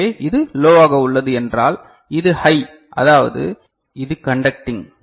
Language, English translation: Tamil, So, this is low means this is high means this is conducting